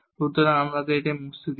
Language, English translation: Bengali, So, let me erase this